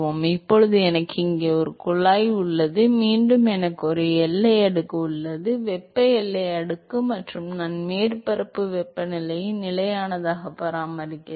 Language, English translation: Tamil, So, now, I have a tube here, once again I have a boundary layer; thermal boundary layer and I maintain the surface temperature as constant